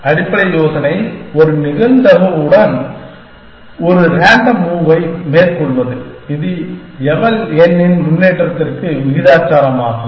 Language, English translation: Tamil, The basic idea is make a random move with a probability, which is proportional to improvement in eval n